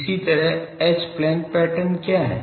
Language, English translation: Hindi, Similarly, what is the H plane pattern